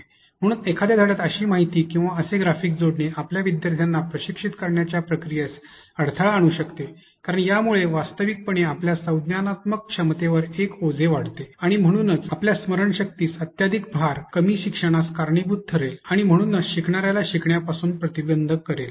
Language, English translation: Marathi, So, adding such information or such details or such graphics into a lesson may hinder the process by which your students can be trained because it actually adds a load to your cognitive capacity and therefore, overloading of your memory member may lead to less learning and therefore, preventing the learner to be able to learn